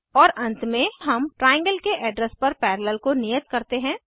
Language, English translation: Hindi, And at last we assign Parallel to the address of Triangle trgl